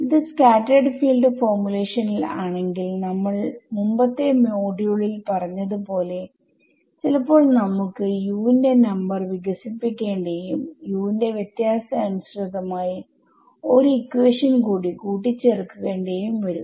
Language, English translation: Malayalam, The b is where it will change if it were a scattered field formulation then as we discussed in the previous module, we may need to expand the number of Us and add one more equation corresponding to the difference of the Us being equal to incident field ok